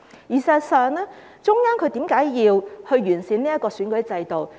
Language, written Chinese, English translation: Cantonese, 事實上，為何中央要完善選舉制度呢？, In fact why does the Central Government want to improve the electoral system?